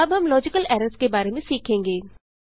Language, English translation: Hindi, Next we will learn about logical errors